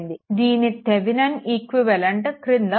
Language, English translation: Telugu, And this Thevenin equivalent at bottom it is there